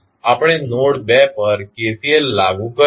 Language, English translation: Gujarati, We apply KCL at node 2